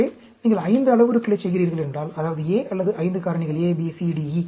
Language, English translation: Tamil, So, if you are doing a 5 parameters, that means, A or 5 factors A, B, C, D, E